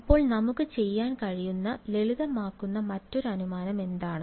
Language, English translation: Malayalam, So, what is another simplifying assumption we could do